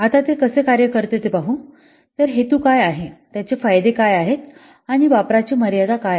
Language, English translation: Marathi, So, what are the purpose, what are the benefits and what is the extent of use